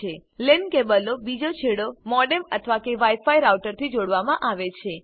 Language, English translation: Gujarati, The other end of the LAN cable is connected to a modem or a wi fi router